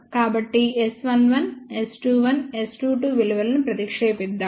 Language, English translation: Telugu, So, let us substitute the values of S 11 S 21 S 22